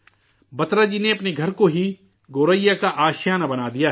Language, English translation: Urdu, Batra Ji has turned his own house into home for the Goraiya